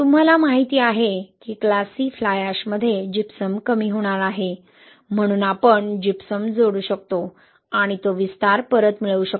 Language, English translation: Marathi, You know that there is going to be Gypsum depletion in class C fly ash, so we can add Gypsum and get that expansion back